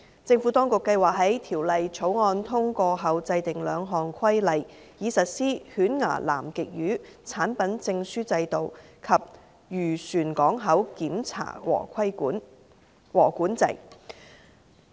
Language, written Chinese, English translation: Cantonese, 政府當局計劃在《條例草案》通過後制訂兩項規例，以實施犬牙南極魚產品證書制度及漁船港口檢查和管制。, The Administration plans to make two regulations after the passage of the Bill in order to implement conservation measures on the Catch Documentation Scheme for Antarctic toothfish toothfish port inspections and control for fishing vessels